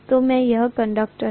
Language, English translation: Hindi, So these are the conductors